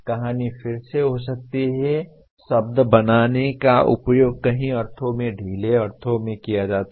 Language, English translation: Hindi, The story can be again the word create is used in loose sense in many ways